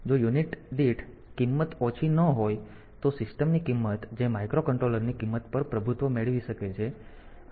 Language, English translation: Gujarati, So, if the cost per unit is not low then the cost of the system who may get dominated by the cost of the microcontroller